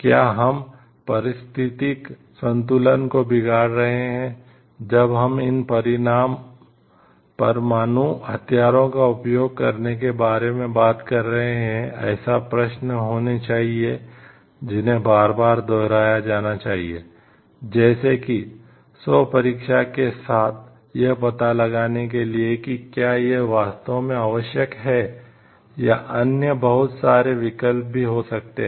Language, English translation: Hindi, Are we disturbing the ecological balance while we are talking of using these nuclear weapons should be questions, which should be visited revisited again and again, with a self check to find out answers like to is this really required, or there could be other alternatives also